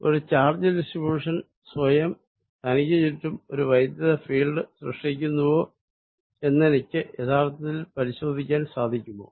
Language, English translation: Malayalam, Can I really check, if there is a charge distribution it creates this field around itself